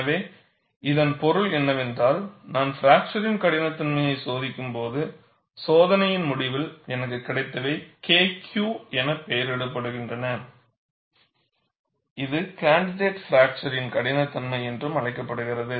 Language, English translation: Tamil, So, that means, when I perform a fracture toughness testing, at the end of the test, whatever I get is labeled as K Q; which is called candidate fracture toughness